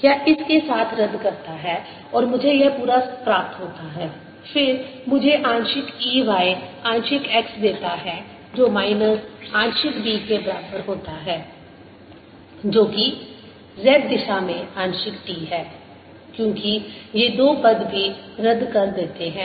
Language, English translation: Hindi, then gives me partial e y, partial x is equal to minus partial b, which is in z direction, partial t, because these two terms also cancels